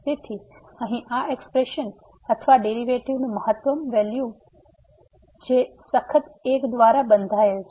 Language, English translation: Gujarati, So, this expression here or the maximum value of this derivative is bounded by a strictly bounded by